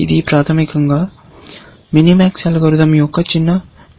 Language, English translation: Telugu, It is basically, a small variation of the minimax algorithm that we have seen